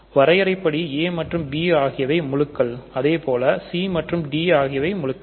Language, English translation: Tamil, a and b are integers by definition c and d are integers by definition